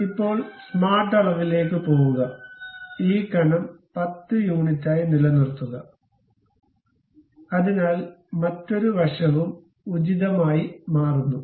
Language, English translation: Malayalam, So, now go to smart dimension, maintain this thickness as 10 units; so other side also appropriately change